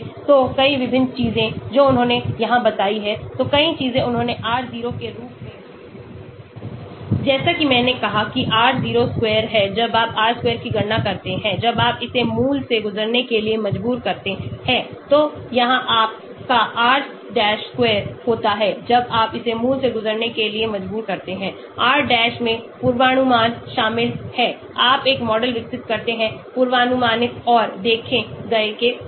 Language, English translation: Hindi, So, so many different things they mentioned here, so many things they said r0 as I said r0 square is when you calculate r square when you force it to pass through the origin, here your r dash square when you force it to pass through origin, r dash involves predict, you develop a model between predicted and observed